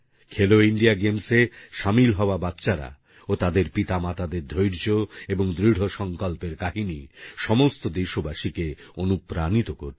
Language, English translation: Bengali, The stories of the patience and determination of these children who participated in 'Khelo India Games' as well as their parents will inspire every Indian